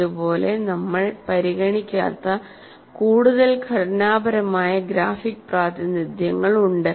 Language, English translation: Malayalam, Still there are more structured graphic representations which we will not see here